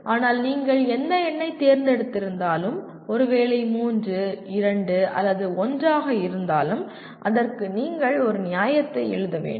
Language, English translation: Tamil, But whatever number that you choose, whether 3, 2, or 1 you have to write a justification